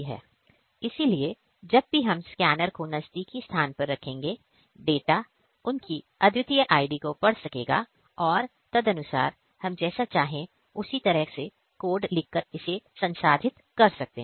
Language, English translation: Hindi, So, this scanner whenever we will place these in the close proximity of this scanner, the data their unique IDs will be read and accordingly we can process it by writing the code in whichever way we want